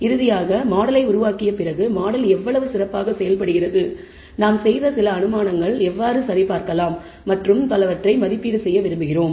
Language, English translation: Tamil, Finally, after building the model we would like to assess how well the model performs, how to validate some of the assumptions we have made and so on